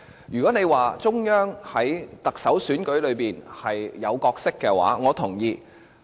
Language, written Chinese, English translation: Cantonese, 如果大家說中央在行政長官選舉中有角色，我同意。, If Members say that the Central Authorities have a role to play in the Chief Executive election I agree